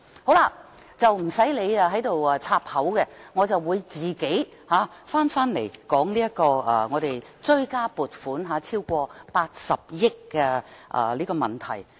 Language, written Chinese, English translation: Cantonese, 代理主席你不用打斷我的發言，我會自行返回討論追加撥款超過80億元的問題。, Deputy President you need not interrupt me . I will come back to the discussion about the supplementary appropriation of over 8 billion